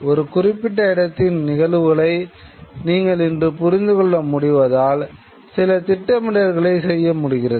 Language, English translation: Tamil, You are today able to understand the events of a particular location and therefore some kind of planning could take place